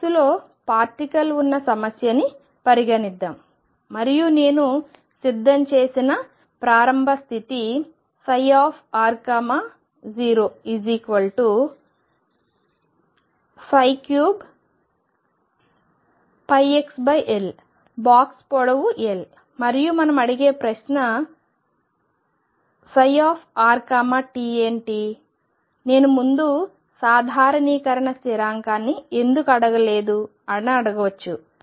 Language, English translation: Telugu, Let me take an example, suppose I have particle in a box problem and the initial state I prepare psi r 0 is given as sin cubed pi x over L the length of the box is L, what is and the question we ask is what is psi r t you may ask I am not attend the normalization constant in front